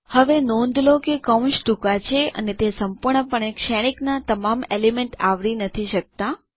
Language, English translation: Gujarati, Now, notice that the brackets are short and do not cover all the elements in the matrix entirely